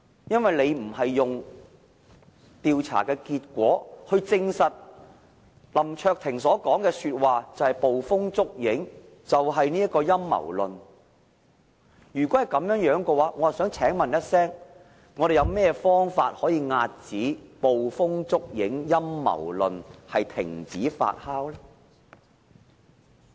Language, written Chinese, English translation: Cantonese, 如果不是用調查的結果來證實林卓廷議員所說的話是捕風捉影、陰謀論的話，我想問有甚麼方法可以遏止捕風捉影、陰謀論，停止這些言論發酵呢？, If we are not going to debunk what Mr LAM Cheuk - ting have been saying are being over - suspicious and merely some conspiracy theories may I ask what should be done to prevent these imaginations and conspiracy theories from festering?